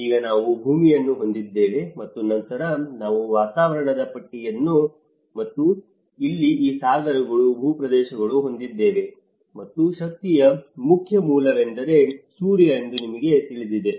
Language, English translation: Kannada, Now, we have the earth, and then we have the atmosphere belt, this is the atmosphere, and here this oceans, landmasses and the main source of the energy is the Sun